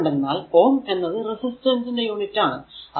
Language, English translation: Malayalam, So, either actually ohm is the unit of resistor resistance